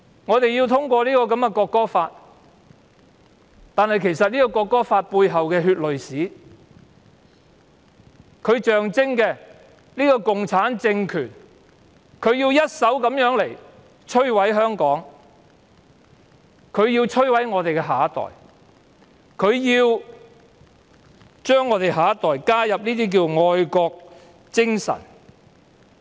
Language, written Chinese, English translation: Cantonese, 我們要審議《條例草案》，但其實《中華人民共和國國歌法》背後血淚史所象徵的共產政權，正要一手摧毀香港和我們的下一代，對青年人強加愛國精神。, We are now scrutinizing the Bill; but as a matter of fact the communist regime symbolized by the history of blood and tears behind the Law of the Peoples Republic of China on the National Anthem is destroying Hong Kong and our next generation and imposing patriotism on young people